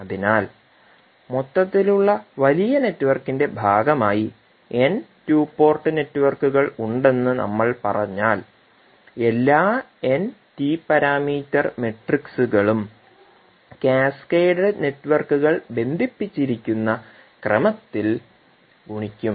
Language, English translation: Malayalam, So, if we say there are n two port networks which are part of the overall bigger network, all n T parameter matrices would be multiplied in that particular order in which the cascaded networks are connected